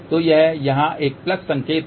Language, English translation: Hindi, So, this is a plus sign here